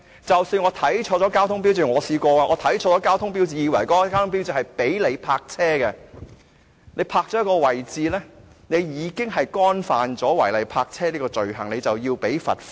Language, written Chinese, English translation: Cantonese, 我試過看錯交通標誌，但即使我看錯了交通標誌，以為那個交通標誌是准許泊車的，你在該個位置泊車，便已觸犯了違例泊車的罪行，須繳交罰款。, I had the experience of reading a traffic sign incorrectly . Even though I read the traffic sign incorrectly and took the traffic sign for permission of parking once I parked the car in that space I had committed the offence of illegal parking and had to be fined